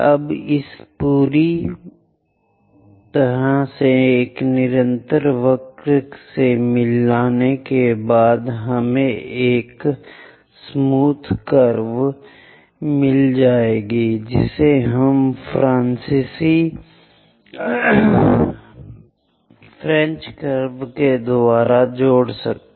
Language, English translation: Hindi, Now join this entirely by a continuous curve to get a smooth curve we can use French curves